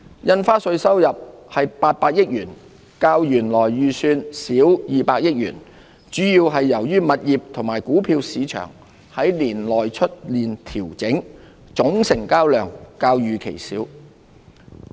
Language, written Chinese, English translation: Cantonese, 印花稅收入為800億元，較原來預算少200億元，主要由於物業和股票市場年內出現調整，總成交量較預期少。, Stamp duty revenue is 80 billion 20 billion less than the original estimate attributed to smaller - than - expected trading volumes brought about by adjustments in the property and stock markets over the year